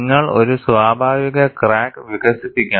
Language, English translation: Malayalam, You have to develop a natural crack